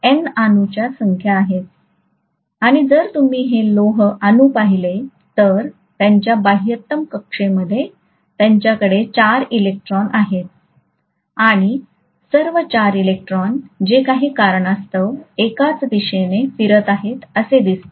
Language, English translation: Marathi, And if you look at these iron atoms, they have 4 electrons in their outermost orbit and all the 4 electrons seem to spin along the same direction for whatever reasons